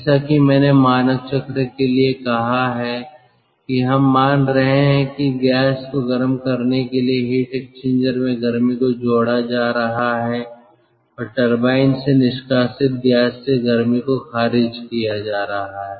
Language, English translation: Hindi, we are assuming that heat is being added ah in a heat exchanger to heat the gas and heat is being rejected from the exhaust gas from the turbine